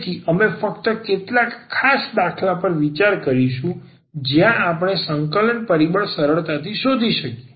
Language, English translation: Gujarati, So, we will consider only some special cases where we can find the integrating factor easily